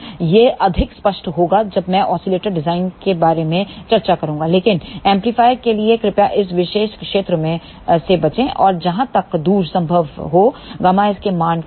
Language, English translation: Hindi, This will be more clear, when I discuss about the oscillator design, but for amplifier please avoid this particular region and take gamma s value which is as far as possible